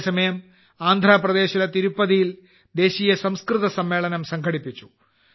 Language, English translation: Malayalam, At the same time, 'National Sanskrit Conference' was organized in Tirupati, Andhra Pradesh